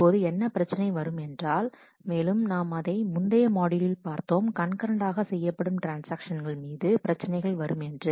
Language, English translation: Tamil, Now, the problem happens, and as we have seen in the last module, that problems happen when possibly concurrent transactions happen